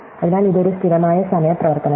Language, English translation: Malayalam, So, it is a constant time operation